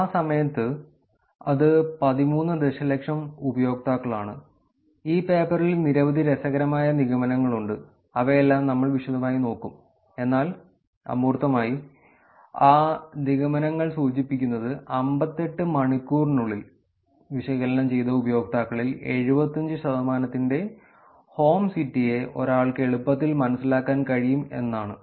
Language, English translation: Malayalam, At that point in time, which is 13 million users, and the paper kind of concludes that there are many interesting conclusions in this paper we will look at all of them in detail but in the abstract, they talk about ,our results indicate that, one easily, one can easily infer the home city of around 75 percent of the analyzed users within 58 hours